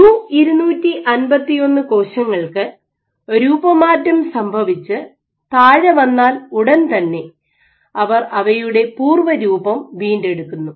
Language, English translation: Malayalam, In U251 cells, as soon as it deformed when you when they let go when they came underneath they immediately regain their shape